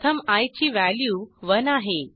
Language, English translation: Marathi, First we have value of i as 1